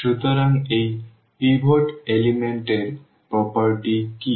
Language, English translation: Bengali, So, what is the property of this pivot element